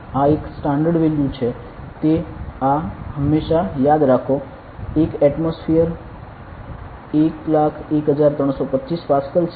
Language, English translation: Gujarati, This is a standard value remember this is always; 1 atmosphere is equal to 10 32 101325 Pascal ok